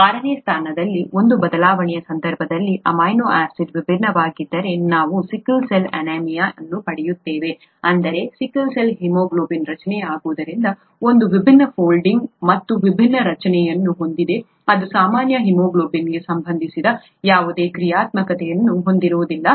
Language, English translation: Kannada, In the case of one change at the sixth position, the amino acid being different, we get sickle cell anaemia, that is because of sickle cell haemoglobin being formed, which has different folding and therefore different, it does not have the functionality that is associated with the normal haemoglobin